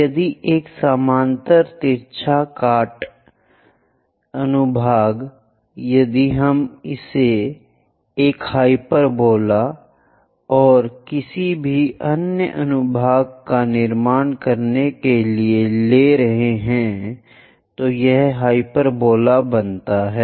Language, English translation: Hindi, If a parallel slant cut section if we are taking it construct a hyperbola and any other section it makes hyperbola